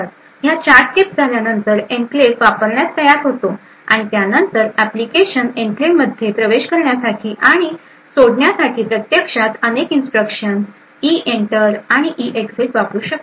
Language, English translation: Marathi, So, after these 4 steps are done the enclave is ready to use and then the application could actually use various instruction EENTER and EEXIT to enter and leave the enclave